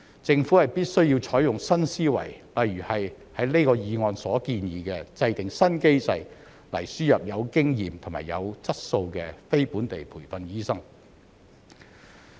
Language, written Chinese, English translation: Cantonese, 政府必須採用新思維，例如像這項議案所建議，制訂"新機制"來"輸入有經驗及有質素的非本地培訓醫生"。, The Government must think out of the box for example to formulate a new mechanism for importing experienced and quality non - locally trained doctors as proposed in the motion